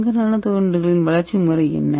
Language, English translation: Tamil, So what is the growth mechanism of gold Nano rods